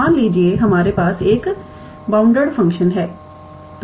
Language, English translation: Hindi, Suppose we have a bounded function